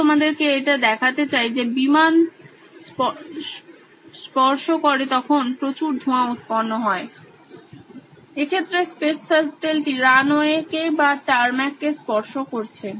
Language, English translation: Bengali, What I would like to demonstrate to you is the fact that there is a lot of smoke when the airplane touches, in this case the space shuttle touches the tarmac or the runway